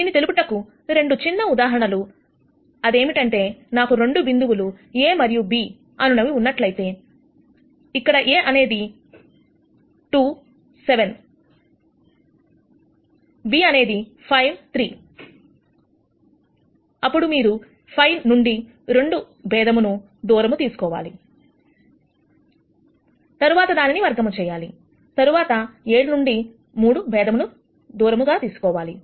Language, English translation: Telugu, Two simple examples to illustrate this, if I have 2 points A and B where A is 2 7 b is 5 3 then, the distances you take the difference between 5 and 2 and then square it and then, take the difference between 3 and 7 and then square it and then you will get your length as 5